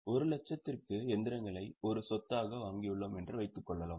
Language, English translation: Tamil, Suppose we have purchased one asset, say machinery for 1 lakh